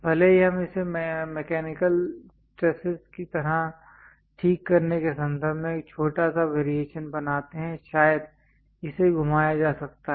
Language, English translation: Hindi, Even if we make it a small variation in terms of fixing it like mechanical stresses perhaps might twisted